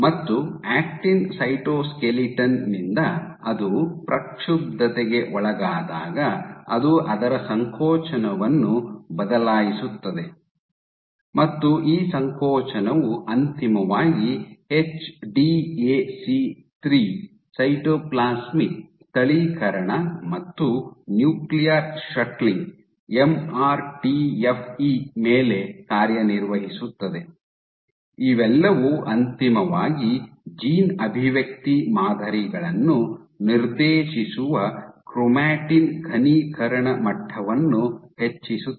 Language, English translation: Kannada, And by actin cytoskeleton when it is perturbed what it will change its contractility, and this contractility will eventually act upon HDAC3 localization, cytoplasmic localization and nuclear shuttling, MRTFE all of these eventually perturbed chromatin condensation levels which dictates the gene expression patterns